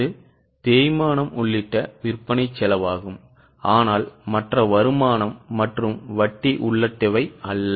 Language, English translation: Tamil, This was this cost of sales including depreciation but not including other income and interest